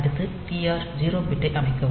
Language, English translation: Tamil, So, next you set this TR 0 bit